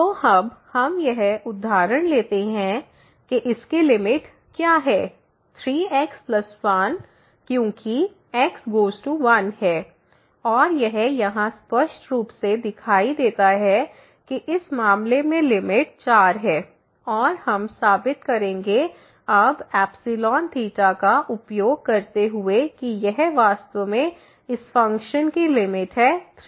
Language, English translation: Hindi, So, here now let us take this example that what is the limit of this 3 plus 1 as goes to 1 and its clearly visible here that the limit is 4 in this case and we will prove now using this epsilon delta approach that this indeed is the limit of this function 3 plus 1